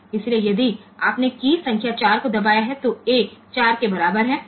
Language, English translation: Hindi, So, if you have pressed say key number 4 then A is equal to 4